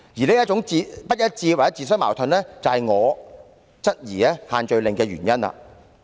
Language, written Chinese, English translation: Cantonese, 這種不一致或自相矛盾，也是我質疑限聚令的原因。, Such inconsistency or self - contradictions are also the reasons why I have query about the imposition of the restrictions